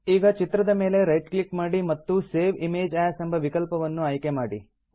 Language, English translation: Kannada, Now right click on the image and choose the Save Image As option